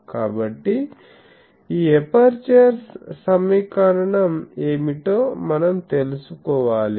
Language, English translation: Telugu, So, we will have to know what is this apertures equation etc